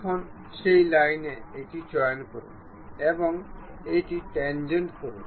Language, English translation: Bengali, Now, pick this one on that line make it tangent